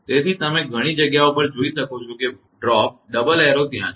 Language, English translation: Gujarati, So, you can many places you can see that drop both side arrows are there